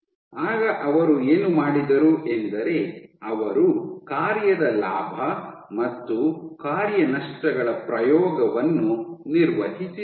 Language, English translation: Kannada, What they then did was performed gain of function and loss of function experiments